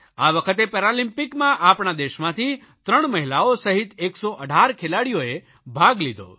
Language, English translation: Gujarati, This time 19 athletes, including three women, took part in Paralympics from our country